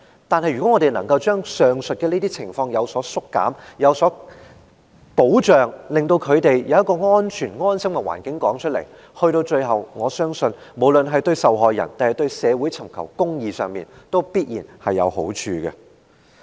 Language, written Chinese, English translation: Cantonese, 但是，如果我們能夠減少上述情況和為受害人提供保障，令他們在安全和安心的環境中說出經歷，那麼，到最後，我相信無論對受害人或對社會尋求公義，都必然有好處。, However if we can minimize the situations described above and provide the victims with the protection which makes them feel safe and secure to relate their experience I believe that it will definitely do good to both the victims and the pursuit of justice in society in the end